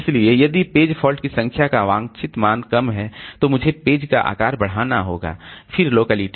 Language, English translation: Hindi, So, if the number of page fault is desired value is low, then I have to increase the page side